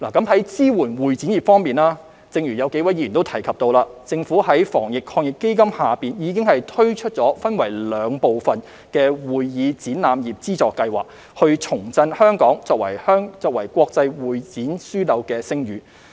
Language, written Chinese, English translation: Cantonese, 在支援會展業方面，正如有數位議員提及，政府在防疫抗疫基金下已推出分為兩部分的會議展覽業資助計劃，以重振香港作為國際會展樞紐的聲譽。, In supporting the convention and exhibition industry as several Members have mentioned the Government has introduced the two - part Convention and Exhibition Industry Subsidy Scheme under the Anti - epidemic Fund to reinvigorate the reputation of Hong Kong as an international convention and exhibition hub